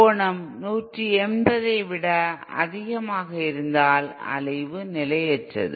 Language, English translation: Tamil, If the angle is greater than 180¡, then the oscillation is unstable